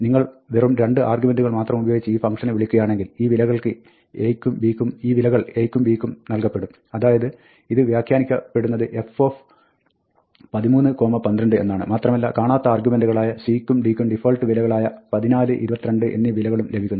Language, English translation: Malayalam, Then, if you have a call with just 2 arguments, then, this will be associated with a and b, and so, this will be interpreted as f 13, 12, and for the missing argument c and d, you get the defaults 14 and 22